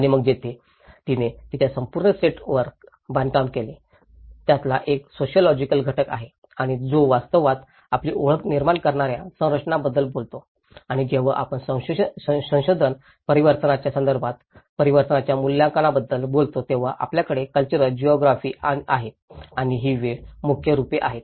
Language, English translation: Marathi, And then she built on the whole set of it; one is the sociological component of it and which actually talks about the structures which create identity and when we talk about the assessment of transformation with respect to research variables, we have the cultural geography and the time are the main variables